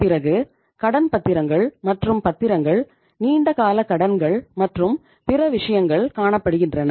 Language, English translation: Tamil, Then itís the debentures and bonds, long term loans and other things